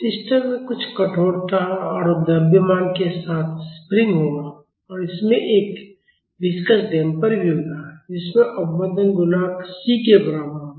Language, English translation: Hindi, The system will have spring with some stiffness and a mass and it will also have a viscous damper with a damping coefficient is equal to c